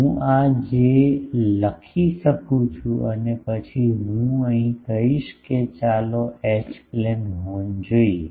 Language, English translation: Gujarati, I can write like this and then I will say that let us look at H plane horn, H plane horn